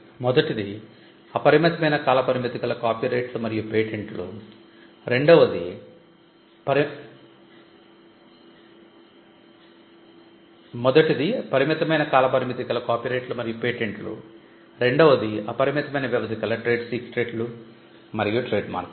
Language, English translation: Telugu, As I said is the limited life IP copyrights and patents the other will be the unlimited life IP trade secrets trademarks